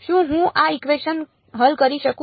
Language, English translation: Gujarati, Can I solve this equation